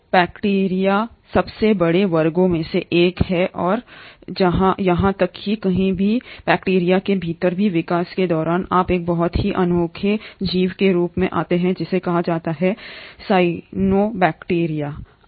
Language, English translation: Hindi, So bacteria is one of the largest classes and even within the bacteria somewhere across the course of evolution you come across a very unique organism which is called as the cyanobacteria